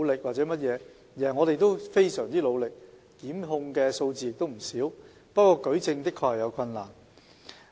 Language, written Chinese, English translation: Cantonese, 我們非常努力，檢控的數字亦不少，不過舉證的確有困難。, We have worked very hard on this and the number of prosecutions is not small but there are difficulties in adducing evidence